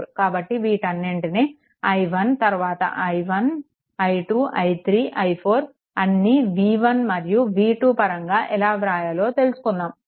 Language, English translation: Telugu, So, all this things i 1 then i 1, i 2, i 3, i 4, all how to get it in terms of v 1 and v 2 all this things are explained